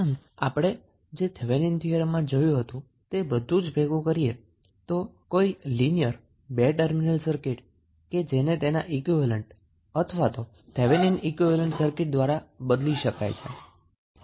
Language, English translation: Gujarati, So, if you recollect what we discussed in case of Thevenin's theorem that the linear two terminal circuit can be replaced with it is equivalent or Thevenin equivalent circuit